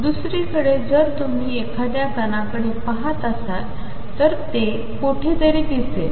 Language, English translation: Marathi, On the other hand if you look at a particle, it is look like somewhere